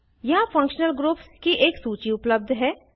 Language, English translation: Hindi, A list of functional groups is available here